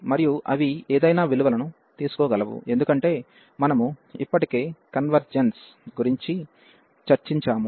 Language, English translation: Telugu, And any value they can take, because we have already discussed the convergence